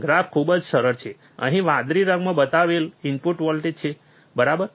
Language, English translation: Gujarati, Graph is very easy there is a input voltage shown in blue colour here, right